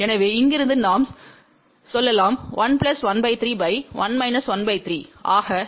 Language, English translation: Tamil, So, from here we can say 1 plus 1 by 3 divided by 1 minus 1 by 3